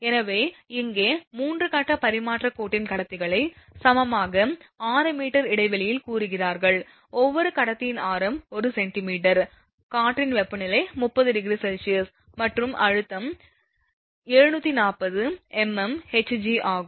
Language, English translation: Tamil, So, here they look conductors of a 3 phase transmission line are equilaterally spaced say 6 meter apart, the radius of each conductor is given 1 centimetre, the air temperature is 30 degree Celsius and pressure is 740 millimetre of mercury